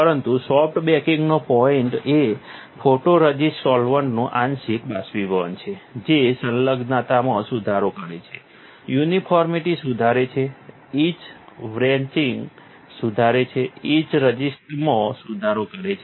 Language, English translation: Gujarati, So, but the point of soft baking is, so that partially evaporation of photoresist solvents, it improves the adhesion, improves uniformity, improves etch wretching, etch resistance